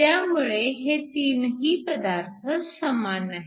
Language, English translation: Marathi, So, the material is the same